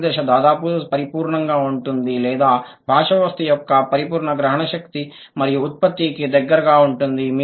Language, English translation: Telugu, The final stage would be almost perfect, a near perfect comprehension and production of the language system